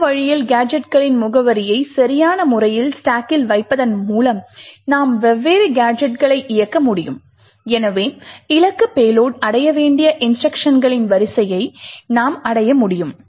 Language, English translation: Tamil, In this way by appropriately placing address of gadgets on the stack, we are able to execute the different gadgets and therefore we are able to achieve the sequence of instructions that a target payload had to achieve